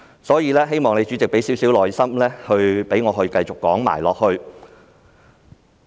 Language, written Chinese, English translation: Cantonese, 所以，我希望主席耐心一些，讓我繼續說下去。, Therefore I hope the Chairman can be more patient and allow me to continue with my speech